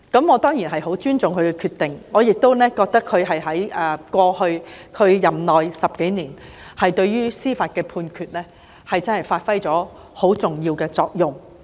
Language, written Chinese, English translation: Cantonese, 我當然十分尊重他的決定，並認為他過去10多年的任內，在司法判決上發揮了十分重要的作用。, Certainly I greatly respect his decision and consider that he has played a very important judicial role during his term of office in the past 10 - odd years